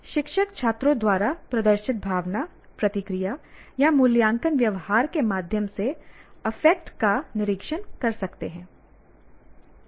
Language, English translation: Hindi, So, what is observed where the teacher can observe the affect through the kind of emotion or the reaction or the evaluative behavior displayed by the students